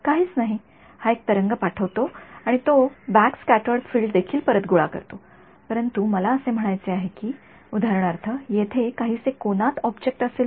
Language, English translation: Marathi, Nothing right so, this guy sends a wave and it also collects back the backscattered field, but I mean if there is for example, slightly angled object over here